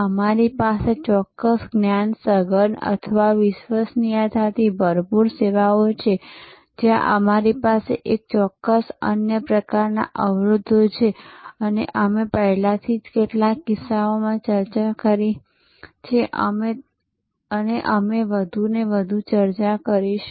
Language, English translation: Gujarati, We have certain knowledge intensive or credence rich services, where we have certain other types of barriers, which we have already discussed in some cases and we will discuss more and more